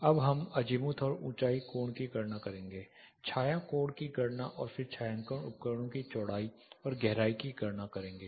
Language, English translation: Hindi, Then calculating azimuth and altitude angle, calculation of shadow angle and then calculate the width and the depth of shading devices